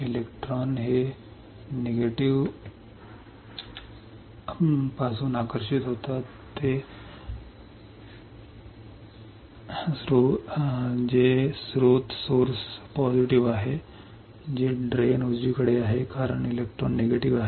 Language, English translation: Marathi, Electrons are attracted from the negative which is source to the positive which is drain right, because electrons are negative